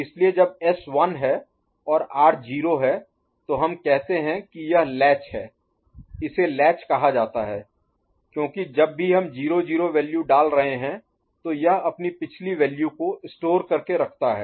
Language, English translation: Hindi, So, when S is 1 and R is 0 we say this particular latch this is basically it is called latch because it is latching whenever we are putting a 0 0 value